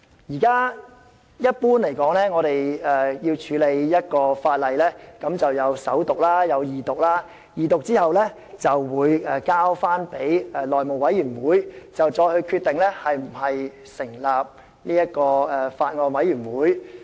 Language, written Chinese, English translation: Cantonese, 一般而言，一項法案的處理必須經過首讀、二讀，在二讀後交付內務委員會決定是否成立法案委員會。, Generally the processing of a Bill must undergo First Reading and Second Reading . Upon Second Reading being proposed it will be referred to the House Committee which will decide on the forming or otherwise of a Bills Committee